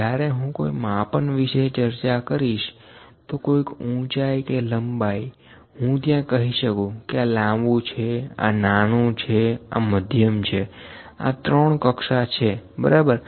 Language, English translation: Gujarati, When I discuss about the height of some measurement some measurement height of that or some length, I can say this is long, this is small, this is medium; three categories, ok